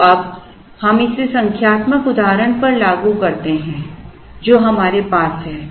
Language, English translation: Hindi, So, now we apply this to the numerical illustration that we have